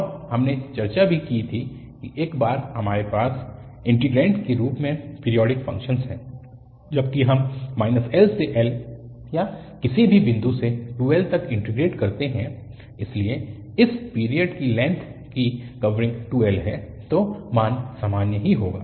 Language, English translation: Hindi, And, we have also discussed that once we have the periodic function as its integrand, whether we integrate from minus l to l or from any point to 2l, so, the covering of the length of this period is 2l so the value will be the same